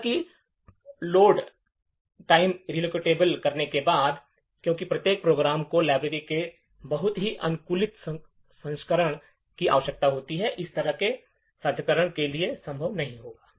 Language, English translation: Hindi, However, with Load time relocatable, since each program need a very customized version of the library, that for such kind of sharing will not be possible